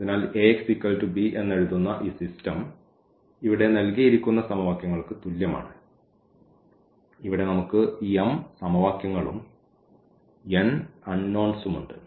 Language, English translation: Malayalam, So, this system writing in this A x is equal to b is equivalent to the given system of equations where, we have m equations and n unknowns in general we have considered here